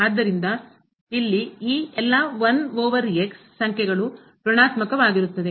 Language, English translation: Kannada, So, all these numbers here 1 over will be negative